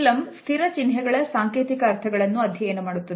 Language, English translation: Kannada, Emblems looks at the codified meanings of fixed symbols